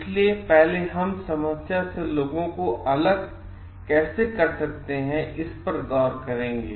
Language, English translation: Hindi, So, first we will look into the separate people from the problem how it can be done